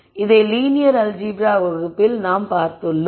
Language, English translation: Tamil, So, this we saw in detail in the linear algebra part of the lecture